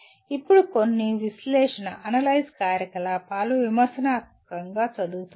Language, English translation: Telugu, Now some of the analyze activities are reading critically